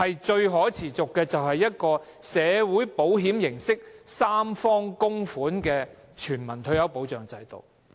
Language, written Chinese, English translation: Cantonese, 最可持續的，就是以社會保險形式設立，由三方供款的全民退休保障制度。, The most sustainable approach is to set up a universal retirement protection system in the form of social security with tripartite contributions